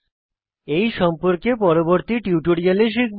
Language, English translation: Bengali, We will learn more about these in the coming tutorials